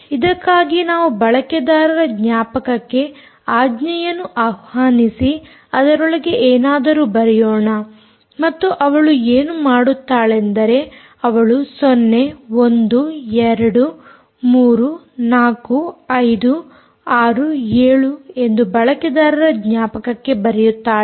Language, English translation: Kannada, for this we will invoke command by which we write something into the user memory and what she does is she writes zero, one, two, three, four, five, six, seven into the user memory